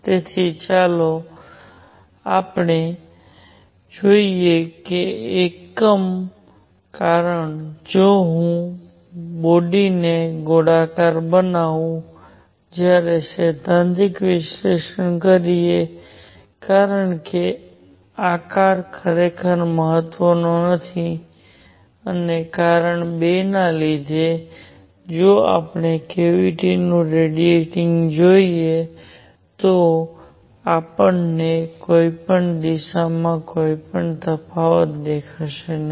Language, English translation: Gujarati, So, let us see the consequences because of one I can take the body to be spherical, when doing a theoretical analysis because the shape does not really matter and because of 2, if we look into a cavity radiating, we will not see any difference in any direction